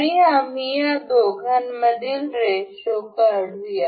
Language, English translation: Marathi, And we will sell set one ratio between these two